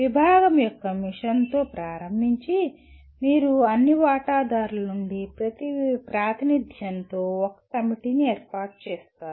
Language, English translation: Telugu, And starting with the mission of the department and you constitute a committee with representation from all stakeholders